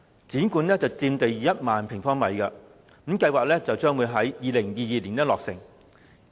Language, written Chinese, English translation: Cantonese, 故宮館佔地1萬平方米，計劃於2022年落成。, HKPM which will have a site footprint of 10 000 sq m is planned to be completed by 2022